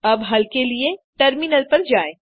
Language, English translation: Hindi, Now switch to the terminal for solution